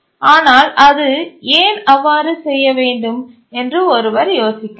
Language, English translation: Tamil, But then you might be wondering that why does it have to do so